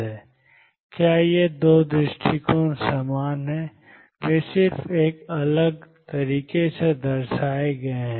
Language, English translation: Hindi, Or are these 2 approaches the same they are just represented in a different way